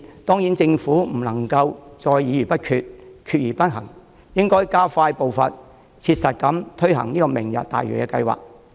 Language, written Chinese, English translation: Cantonese, 當然，政府不能再議而不決，決而不行，應該加快步伐切實地推行"明日大嶼"計劃。, Needless to say the Government should stop holding discussions without taking decisions and taking decisions without putting them into actions . It must hasten its pace to practically implement the Lantau Tomorrow Vision project